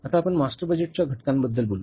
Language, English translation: Marathi, Now let's talk about the components of the master budget